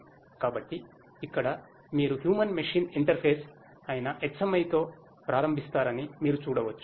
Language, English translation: Telugu, So, here we have as you can see we start with the HMI which is the Human Machine Interface